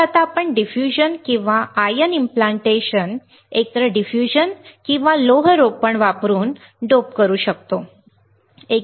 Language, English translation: Marathi, So, now we can dope using either diffusion or ion implantation correct either diffusion or iron implantation; what we can do